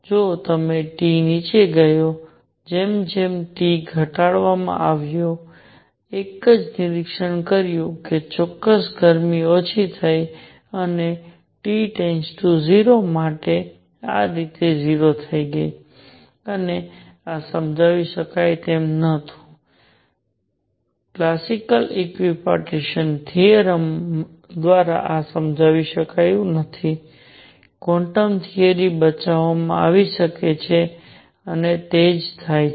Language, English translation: Gujarati, However, as T went down, as T was reduced, what one observed was that the specific heat went down and become 0 like this for T tending to 0 and this could not be explained, this could not be explained by classical equipartition theorem could quantum theory come to rescue and that is precisely what happens